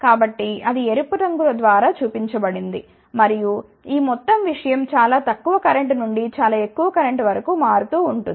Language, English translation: Telugu, So, that is shown by the red colour and you can get the field that, this whole thing is varying from very small current to very high current